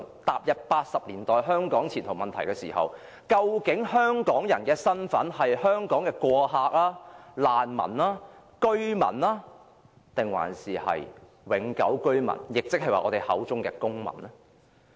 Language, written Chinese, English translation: Cantonese, 踏入1980年代，由於香港的前途問題，大家討論到究竟香港人的身份是香港的過客、難民、居民還是永久居民，亦即是我們口中的公民？, Then in the 1980s the problem of Hong Kongs future induced people to discuss the identity of Hong Kong people―whether they were mere sojourners refugees residents or permanent residents or citizens